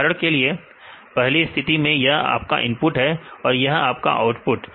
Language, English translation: Hindi, For example, in the first case this is the your input and this is the output